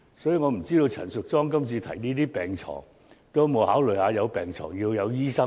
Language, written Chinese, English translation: Cantonese, 所以，我不知道陳淑莊議員今次提出增加病床的建議時，有否考慮到有病床也要有醫生。, So I wonder if Ms Tanya CHAN had considered the demand for doctors in addition to hospital beds when she came up with the proposal for increasing the number of hospital beds this time around